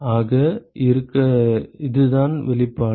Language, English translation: Tamil, So, that is the expression